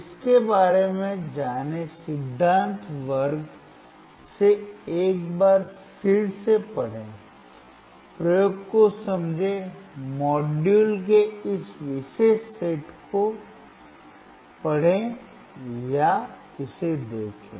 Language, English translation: Hindi, Learn about it, read about it once again from the theory class, understand the experiment, read this particular set of module or look at it